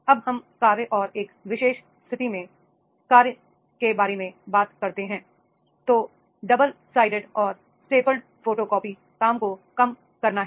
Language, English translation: Hindi, Now whenever we talk about the task and situation specific then it has be there, that is to reduce double sided and stapled photocoping is there